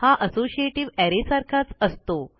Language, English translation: Marathi, It is very similar to an associative array